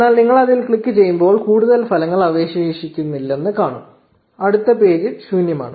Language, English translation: Malayalam, But when you click on it you see that there are no more results left the next page is blank